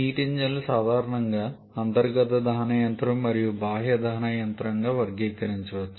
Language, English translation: Telugu, Heat engines can commonly be classified into an internal combustion engine and external combustion engine